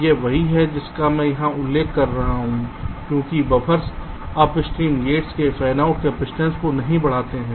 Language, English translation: Hindi, now, right, this is what i am just referring to here, because buffers do not increase the fanout capacitance of upstream gates